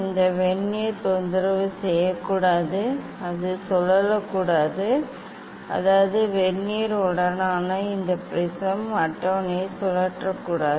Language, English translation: Tamil, this Vernier should not disturbed, it should not rotate; that means this prism table with Vernier we cannot rotate we should not rotate